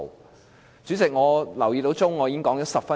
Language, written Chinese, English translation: Cantonese, 代理主席，我留意到計時器，我已經發言了10分鐘。, Deputy President I have noticed that the timer shows that I have spoken for 10 minutes